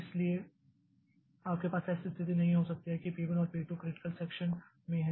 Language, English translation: Hindi, So, you cannot have the situation that both P1 and P2 are in critical section